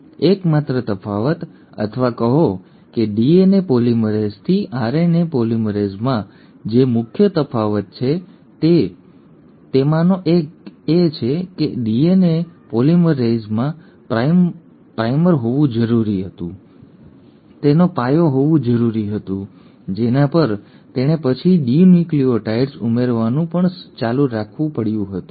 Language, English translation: Gujarati, And the only difference, or rather one of the major differences the RNA polymerase has from a DNA polymerase is that DNA polymerase had to have a primer, it had to have a foundation on which it had to then go on adding the deoxynucleotides